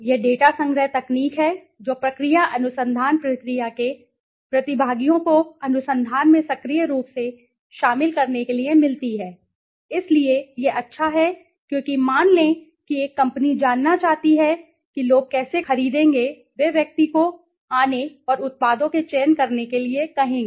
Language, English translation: Hindi, It is the data collection technique that gets the participants of the process research process to be actively involved in the research, so it is has good as suppose a company wants to know how people would buy they would ask to the person to come and select the products right